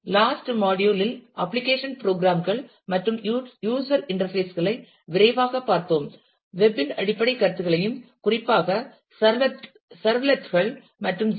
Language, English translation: Tamil, In the last module, we have taken a quick look at the application programs and the user interfaces, looked at the fundamental notions of web and specifically the servlets and JSP